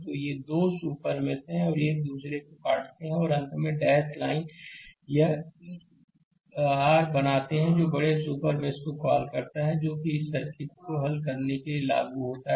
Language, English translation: Hindi, So, these 2 super mesh your intersect each other and finally, dash line this creating a your what you call larger super mesh right based on that we have to apply right we have to solve this circuit